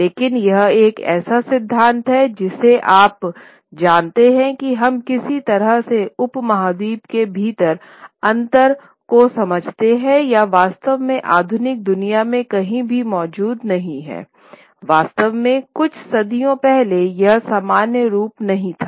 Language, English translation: Hindi, But there were, there is one theory that, you know, the way we understand the differences in languages within the subcontinent or anywhere in the modern world did not actually exist, was not actually exactly the same form a few centuries ago, number one